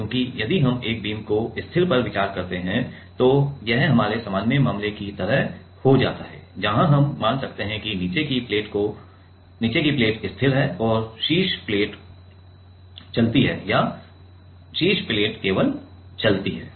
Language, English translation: Hindi, Because, if we consider one of the beam fix, then it becomes like our usual case it becomes like our usual case, where we can consider the bottom plate is fixed and the top plate is also moving or top plate is only moving